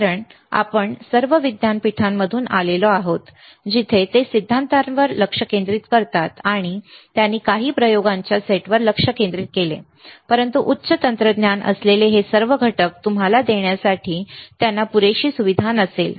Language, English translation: Marathi, Because we all come from universities, where they focus on theory, and they focused on certain set of experiments; but they may not have enough facility to give you all the components which are high end technology